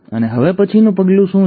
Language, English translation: Gujarati, And what is the next step